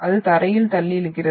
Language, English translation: Tamil, It pushes and pulls the ground